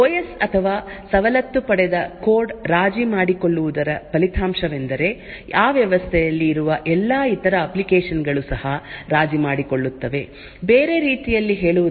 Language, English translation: Kannada, The result of the OS or the privileged code getting compromised is that all other applications present in that system will also, get compromised, in other word the entire system is compromised